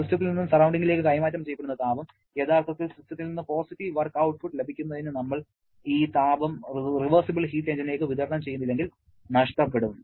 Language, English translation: Malayalam, The heat that has been transferred from the system to the surrounding is actually a loss unless we supply this heat to a reversible heat engine to get some positive work output from the system